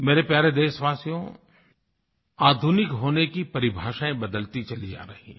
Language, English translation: Hindi, My dear countrymen, definitions of being modern are perpetually changing